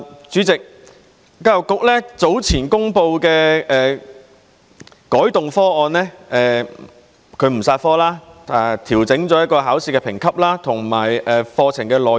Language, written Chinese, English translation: Cantonese, 主席，教育局早前公布的改動方案是不"殺科"、調整考試評級和課程內容。, President the proposed changes announced by EDB earlier are among other things not to kill the subject and change the assessment and curriculum